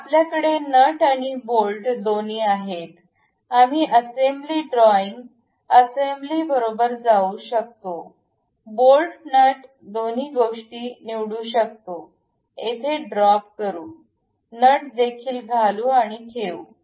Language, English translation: Marathi, So, we have both nut and bolt, we can go with assembly drawing, assembly, ok, pick bolt nut both the things, drop it here, insert nut also and keep it